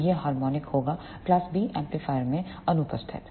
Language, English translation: Hindi, So, this harmonic will be absent in class B amplifier